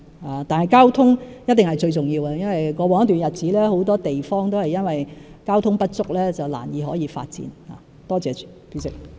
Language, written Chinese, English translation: Cantonese, 然而，交通一定是最重要的，因為在過往一段日子，很多地方都是因為交通設施不足而難以發展。, However transport is surely the most important because for some time in the past due to inadequate transport facilities it was difficult to develop many places